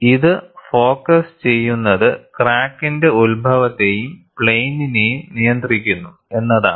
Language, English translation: Malayalam, The focus is, it controls the origin of the crack and plane of the crack